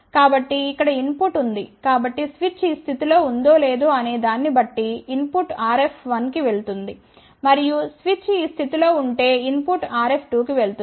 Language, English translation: Telugu, So, here is the input so depending upon if the switch is in this position then input will go to RF 1, and if the switch is in this position then input will go to RF 2